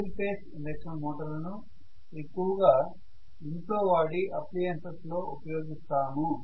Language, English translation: Telugu, The single phase induction motor is the most used in this drive at home